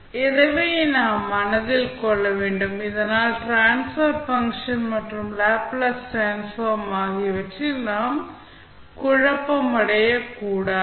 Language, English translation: Tamil, So, this we have to keep in mind, so that we are not confused with the transfer function and the Laplace transform